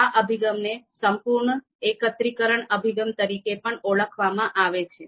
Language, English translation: Gujarati, This approach is also referred to as full aggregation approach